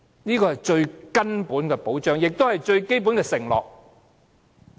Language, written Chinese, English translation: Cantonese, 這是最根本的保障，也是最基本的承諾。, This is the most basic protection and the most basic promise